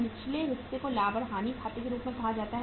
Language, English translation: Hindi, Lower part is called as the profit and loss account